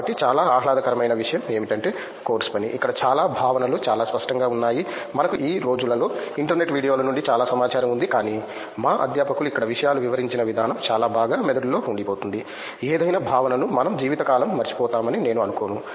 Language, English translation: Telugu, So, one of the most pleasurable thing was the course work, where in so many concepts were made very clear we have plethora of information from the internet videos now a days, but the way things are explained here by our faculty is so absorbing that I don’t think that we would forget it for life, any concept